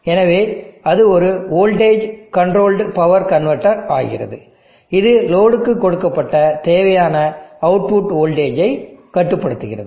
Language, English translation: Tamil, So this becomes a voltage controlled power convertor, which will regulate the output voltage that is given to load to the requirement